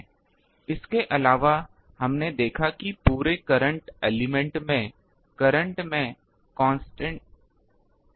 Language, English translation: Hindi, Also, ah we have seen that in the current element the current is constant throughout